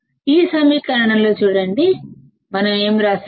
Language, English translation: Telugu, See in this equation; what we have written